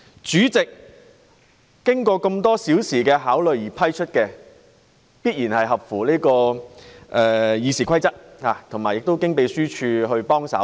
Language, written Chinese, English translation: Cantonese, 主席經過多小時考慮而給予准許，必然符合《議事規則》，並有立法會秘書處協助。, The permission given by the President after so many hours of consideration definitely complies with the Rules of Procedure . And mind you he was assisted by the Legislative Council Secretariat